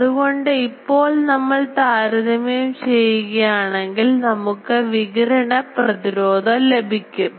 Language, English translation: Malayalam, So, if we compare we get the radiation resistance